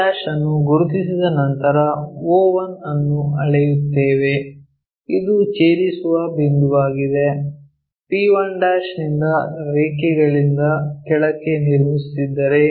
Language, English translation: Kannada, After marking p1' if we measure o 1, this is the intersecting point p1' if we are dropping there by a line, o 1 p 1' is equal to o p p o p' that is the way we mark it